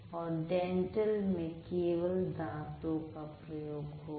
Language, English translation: Hindi, Dental is purely the teeth